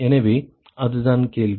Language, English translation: Tamil, So, that is the question